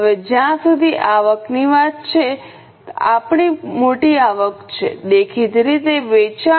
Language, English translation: Gujarati, Now, as far as the income is concerned, our major income is obviously sales